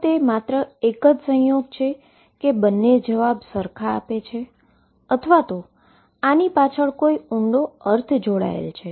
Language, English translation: Gujarati, Is it mere coincidence that both give the same answer or is there a deeper meaning is there any connection